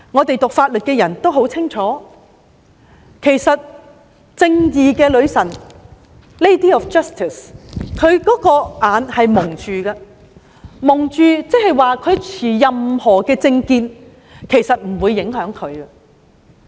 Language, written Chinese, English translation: Cantonese, 讀法律的人都很清楚，正義女神是蒙上眼睛的，原因是不論當事人持任何政見，她都不受影響。, Those who have studied Law clearly know that the Lady of Justice is blindfolded because she will not be affected by any political views held by the parties